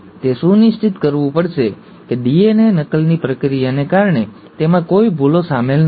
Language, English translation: Gujarati, It has to make sure that there has been no errors incorporated due to the process of DNA replication